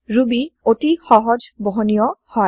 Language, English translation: Assamese, Ruby is highly portable